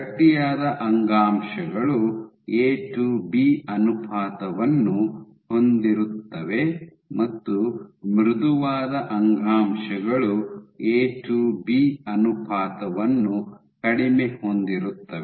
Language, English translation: Kannada, So, stiffer tissues have A to B ratio is high and softer tissues A to B ratio is low